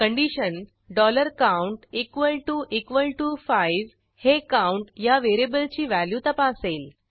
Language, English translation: Marathi, The condition $count equal to equal to 5 is checked against the value of variable count